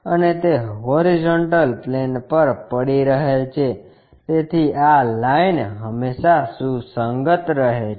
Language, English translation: Gujarati, And it is resting on horizontal plane, so this line always coincides